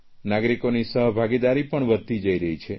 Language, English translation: Gujarati, The participation of citizens is also increasing